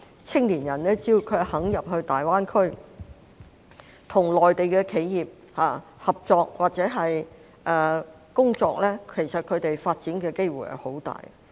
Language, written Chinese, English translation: Cantonese, 青年人只要願意進入大灣區，跟內地的企業合作或在那裏工作，其實他們的發展機會相當大。, As long as young people are willing to go to GBA cooperate with Mainland enterprises or work there they will have enormous opportunities for development